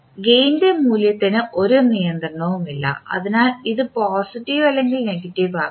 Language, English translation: Malayalam, There is no restriction on the value of the gain, so it can be either positive or negative